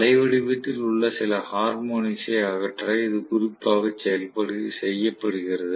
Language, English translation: Tamil, This is done specifically to eliminate some of the harmonics in the waveform